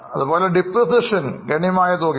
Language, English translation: Malayalam, Depreciation is a substantial amount